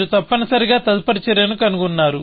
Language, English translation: Telugu, So, you found the next action, essentially